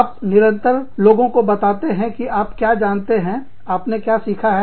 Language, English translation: Hindi, We constantly tell people, what we know, what we learn